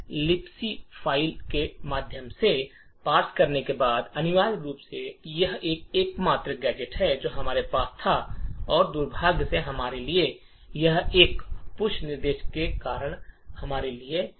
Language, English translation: Hindi, Essentially after parsing through the libc file this is the only gadget which we had and unfortunately for us it has complicated things for us because of this additional push instruction